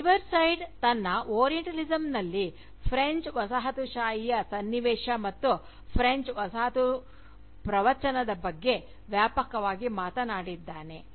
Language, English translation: Kannada, And, this in spite of the fact, that Edward Said in his Orientalism, had spoken extensively, about the context of French Colonialism, and the French Colonial Discourse